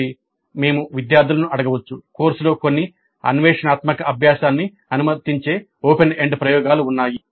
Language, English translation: Telugu, So we can ask the students the course had some open ended experiments allowing some exploratory learning